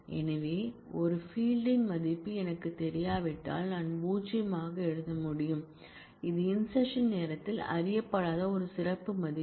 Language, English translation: Tamil, So, if I do not know the value of a field then I can write null which is a special value designating unknown for at the time of insertion